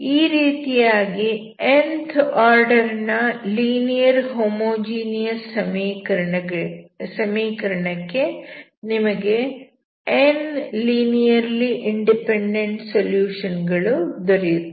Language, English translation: Kannada, So nth order equation will have only n linearly independent solutions